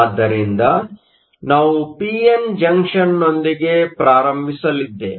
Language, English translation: Kannada, So, we are going to start with a p n junction